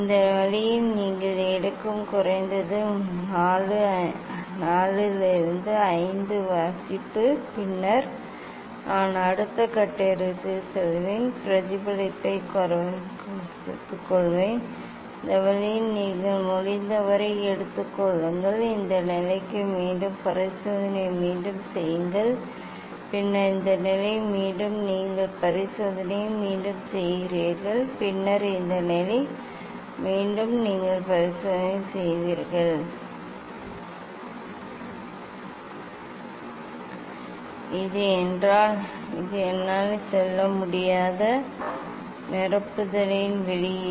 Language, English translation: Tamil, this way at least 4 5 reading you take then I will go for next step take the reflected take the reflected take the refracted and reflected one this way you take as much as possible you can For this position again repeat the experiment then this position again you repeat the experiment then this position again you repeat the experiment, then this position; yes, it is the output of the fill I cannot go up to this